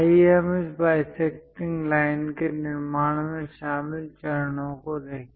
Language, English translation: Hindi, Let us look at the steps involved in constructing this bisecting line